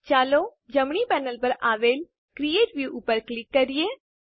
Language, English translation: Gujarati, Let us click on Create View on the right panel